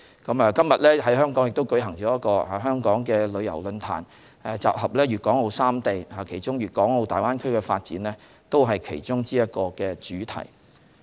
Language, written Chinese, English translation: Cantonese, 今天在香港也舉行了旅遊論壇，討論粵港澳三地旅遊發展，而粵港澳大灣區的發展便是其中一個主題。, Today a tourism forum is also organized in Hong Kong to discuss the tourism development among the three places of Guangdong Hong Kong and Macao and the development of the Greater Bay Area is one of the topics of discussion